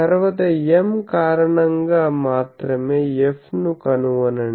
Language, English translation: Telugu, Then, find F due to M only